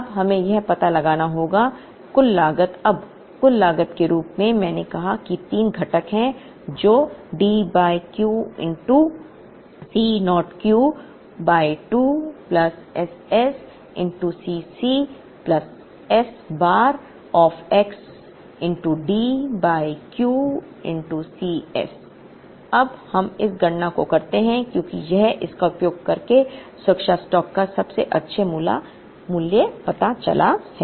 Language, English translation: Hindi, Now, we have to find out the total cost now, total cost as I said has three components which is D by Q into C naught Q by 2 plus SS into C c plus S bar of x into D by Q into C s now, let us do this calculation because we have found out the best value of safety stock using this